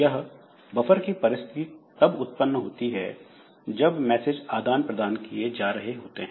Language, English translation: Hindi, So, so, this buffering type of situation when these messages are being passed